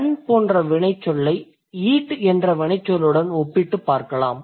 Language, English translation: Tamil, I want you to compare a verb like run with a verb like, let's say, um, eat